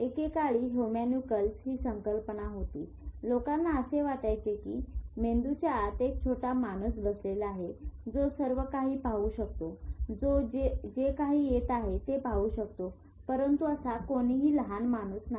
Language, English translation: Marathi, At one point of time people used to think there is a little man sitting inside the brain who could see everything, who could see whatever is coming in but there is no little man